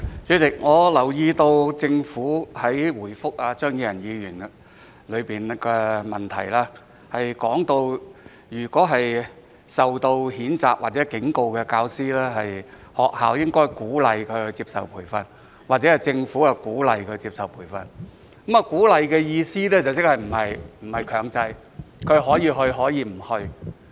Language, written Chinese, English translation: Cantonese, 主席，我留意到政府在答覆張宇人議員的質詢中，表示就那些被教育局譴責或警告的教師，學校應該鼓勵他們接受培訓，或政府鼓勵他們接受培訓；而鼓勵的意思是並非強制，他們可以接受培訓，也可以不接受培訓。, President I notice that in the reply to Mr Tommy CHEUNGs question the Government says that as regards those teachers who have been reprimanded or warned by EDB they should be encouraged by the schools or by the Government to attend training . By encouraging them it means that this is not compulsory and they can choose whether to receive such training or not